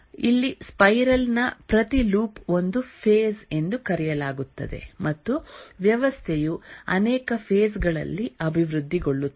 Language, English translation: Kannada, Here each loop of the spiral is called as a phase and the system gets developed over many phases